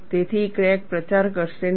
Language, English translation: Gujarati, So, crack will not propagate